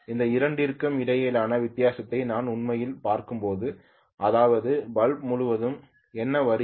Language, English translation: Tamil, When I am actually looking at difference between these two that is what is coming across the bulb